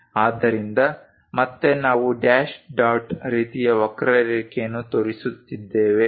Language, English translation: Kannada, So, again dash dot kind of curve we have shown